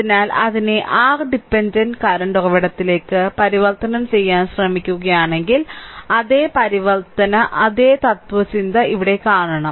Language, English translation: Malayalam, So, if try to convert it to the your what you call dependent current source, same transformation same philosophy here right